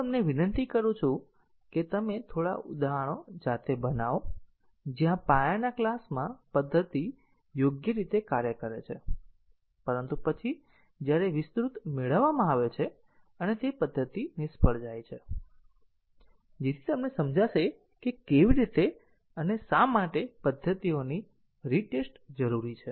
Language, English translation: Gujarati, I request you to construct few examples yourself, where a method works correctly in the base class, but then when extended derived and the method fails, so that will give you an understanding of how, why retesting of the methods is required